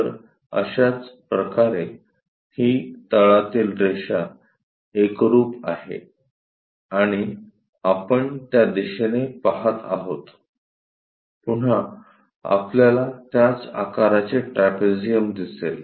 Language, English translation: Marathi, So, there similarly this line the bottom one coincides and we are looking in that direction, again we see a trapezium of same size